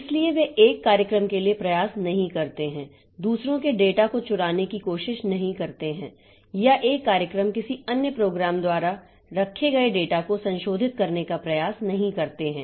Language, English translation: Hindi, So, they don't try to, one program does not try to steal the data of others or one program does not try to modify the data which is held by some other program